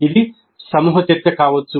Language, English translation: Telugu, It could be group discussion